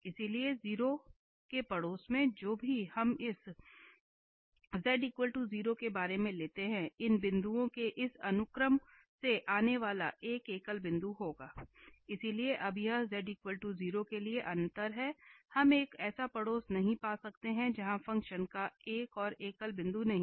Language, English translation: Hindi, So, in the neighbourhood of 0, whatever, however, small neighbourhood we take about this z equal to 0 there will be a singular point coming from this sequence of these points, so that is the difference now for z equal to 0 we cannot find a neighbourhood where the function does not have a further singular point